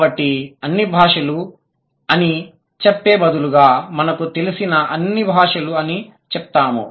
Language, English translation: Telugu, So, instead of saying all languages, we would rather say all known languages